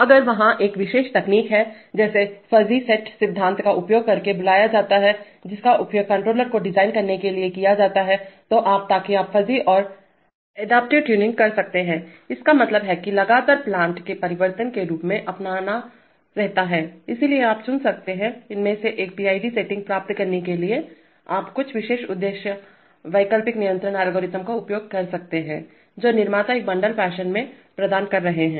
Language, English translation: Hindi, If there is a there is a special technique called using called fuzzy set theory, which is used to design controllers, so you, so you can have fuzzy and adaptive tuning means that the controller continuously keeps adapting as the plant changes, so you could choose one of these to get the PID settings, you could use some special purpose alternative control algorithms which the manufacturers are providing in a bundled fashion